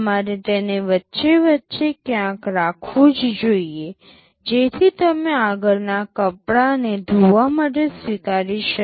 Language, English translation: Gujarati, You must keep it somewhere in between, so that you can accept the next cloth for washing